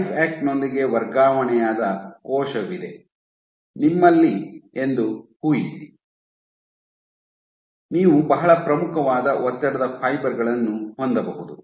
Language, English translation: Kannada, So, imagine you have a cell which is transfected with where you have transfected cells with LifeAct, you can have very prominent stress fibers